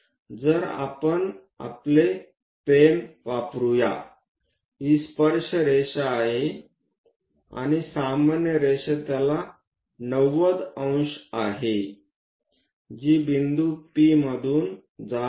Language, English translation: Marathi, So, let us use our pens, this is tangent line, and normal is 90 degrees to it passing through point P